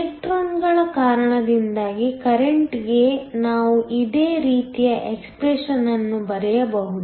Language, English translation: Kannada, We can write a similar expression for the current due to the electrons